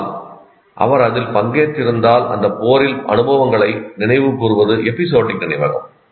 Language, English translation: Tamil, But if he participated in that, recalling experiences in that war is episodic memory